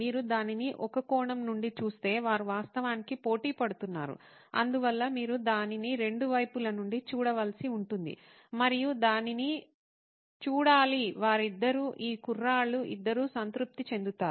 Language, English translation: Telugu, If you look at it from one point of view, they are actually competing and hence you would have to look at it from both sides and see to that, that both of them, both of these guys are satisfied